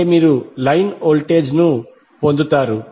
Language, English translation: Telugu, That means you will get the line voltage